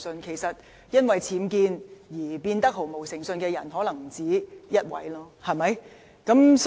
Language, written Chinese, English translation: Cantonese, 事實上，因為僭建而失去誠信的又豈止一人？, In fact is there just only one person who had lost integrity as a result of UBWs?